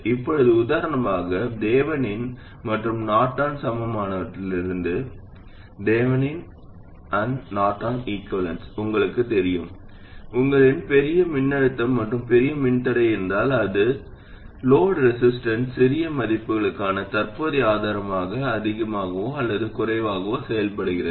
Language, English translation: Tamil, So, for instance that you also know from Thevenin and Norton equivalents, if you have a large voltage and a large resistance in series with it, then it behaves more or less like a current source for small values of load resistance